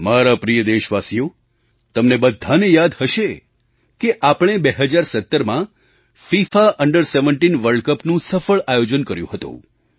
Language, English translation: Gujarati, My dear countrymen, you may recall that we had successfully organized FIFA Under 17 World Cup in the year2017